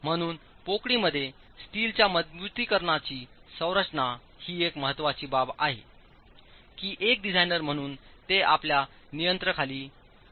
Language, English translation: Marathi, So, configuration of the steel reinforcement within the cavity is an important aspect that as a designer is under your control